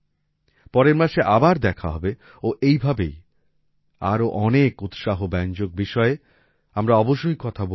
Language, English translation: Bengali, We will meet again next month and will definitely talk about many more such encouraging topics